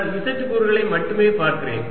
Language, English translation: Tamil, let us look at z component